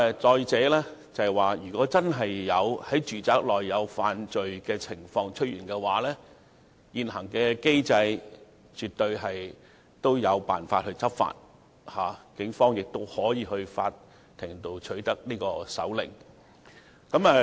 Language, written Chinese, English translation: Cantonese, 再者，如果真的出現在住宅內犯罪的情況，現行的機制也絕對有辦法讓警方執法，警方亦可以向法庭申請搜查令。, Furthermore if offences are indeed committed within domestic premises the Police are fully empowered to enforce the law under existing mechanism as it can obtain a search warrant from the court